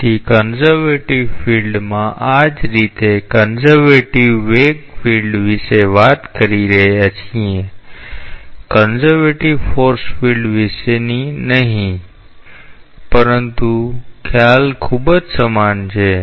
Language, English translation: Gujarati, So, in a conservative field, so similarly this is talking about a conservative velocity field, not a conservative force field, but the concept is very much analogous